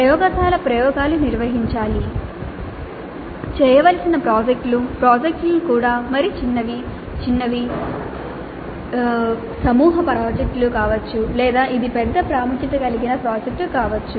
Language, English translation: Telugu, Then laboratory experiments to be conducted, projects to be done, projects could be even small, mini group, mini group projects or it can be a project of major importance